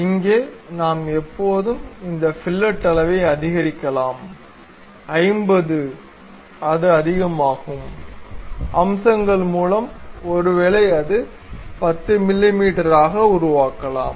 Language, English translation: Tamil, Here we can always increase that fillet size 50; it is too much, so let us edit that feature, maybe make it 10 mm